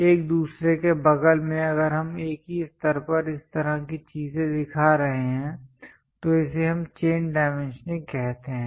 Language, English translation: Hindi, This kind of next to each other if we are showing at the same level at the same level such kind of things what we call chain dimensioning